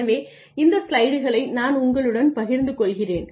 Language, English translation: Tamil, So, I will share these slides with you ok